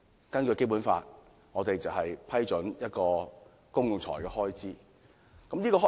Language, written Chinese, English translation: Cantonese, 根據《基本法》，議員負責批准公共財政開支。, Under the Basic Law Members are responsible for approving public expenditure